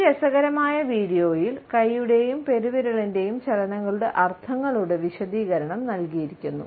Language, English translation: Malayalam, In this interesting video, we find that an explanation of the meanings of hand and thumbs is given